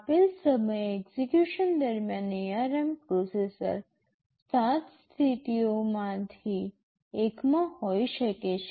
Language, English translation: Gujarati, The ARM processor during execution at a given time, can be in one of 7 modes